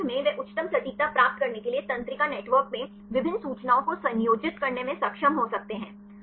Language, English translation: Hindi, And finally, they could be able to combine different information in the neural network to get the highest accuracy